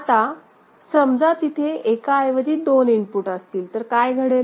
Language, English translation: Marathi, Now, imagine if instead of one input, there are two inputs